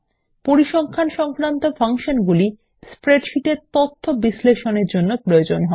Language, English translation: Bengali, Statistical functions are useful for analysis of data in spreadsheets